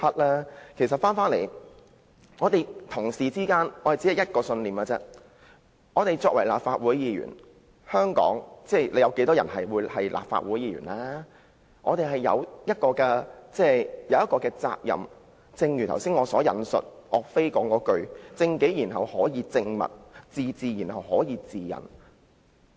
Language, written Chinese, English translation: Cantonese, 話說回來，議員只秉持一個信念，就是身為立法會議員——香港有多少立法會議員呢？——我們有一項責任，就是正如我剛才引述岳飛所說般，"正己然後可以正物，自治然後可以治人"。, Returning to the main point Members do hold onto the belief that as Legislative Council Members―only a small number in Hong Kong―we have a responsibility the same as that stated by YUE Fei which I have just quoted Correct yourself then you can make things right; discipline yourself then you can rule over others